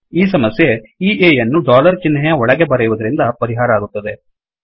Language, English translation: Kannada, This is solved by writing this A also inside dollar symbol